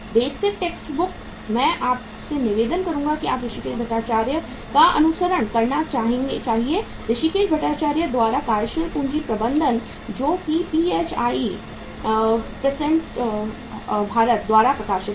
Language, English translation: Hindi, Basic text book I would request you is that you should follow the Hrishikes Bhattacharya uh working capital management by Hrishikes Bhattacharya that is a PHI Prentice Hall of India Publication